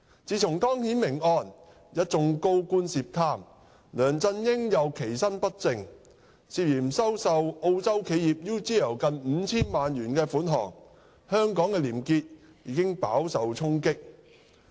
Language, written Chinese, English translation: Cantonese, 自從湯顯明案、一眾高官涉貪，梁振英又其身不正，涉嫌收受澳洲企業 UGL 近 5,000 萬元款項，香港的廉潔已飽受衝擊。, Since the case of Timothy TONG coupled with a number of senior officials alleged to be involved in corruption and LEUNG Chun - ying being poor in personal conduct and suspected to have received close to 500 million from an Australian firm UGL probity in Hong Kong has been hard hit